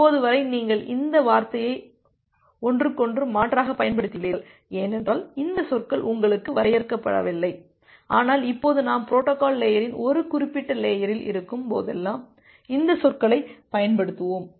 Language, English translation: Tamil, So, till now you have used the term interchangeably, because this terminologies has not been defined to you, but now onwards we’ll use this terminology whenever we are there at a particular layer of the protocol stack